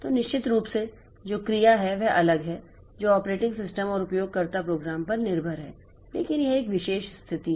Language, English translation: Hindi, So, which action that is of course different that is dependent on the operating system and the user program but this is a special situation